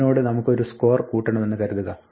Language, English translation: Malayalam, Now suppose we want to add a score to this